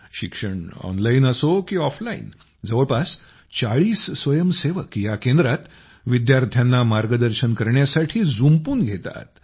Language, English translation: Marathi, Be it offline or online education, about 40 volunteers are busy guiding the students at this center